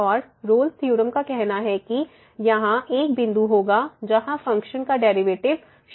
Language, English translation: Hindi, And the Rolle’s theorem says that the there will be a point where the function will be the derivative of the function will be